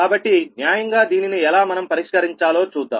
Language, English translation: Telugu, so we will take judiciously that how to solve this